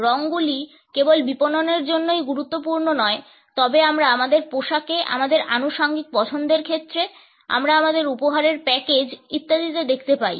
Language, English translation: Bengali, Colors are not only important for marketing, but we find that in our clothing, in our choice of accessories, in the way we package our gifts etcetera